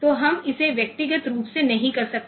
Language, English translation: Hindi, So, we cannot do it individually